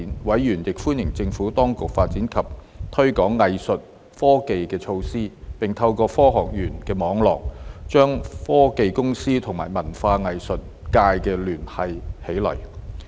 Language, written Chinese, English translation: Cantonese, 委員亦歡迎政府當局發展及推廣藝術科技的措施，並透過科學園的網絡，將科技公司與文化藝術界聯繫起來。, Members also welcomed the Administrations initiative to develop and promote arts technologies and leverage the Hong Kong Science Parks network to connect technology companies with the arts and cultural sector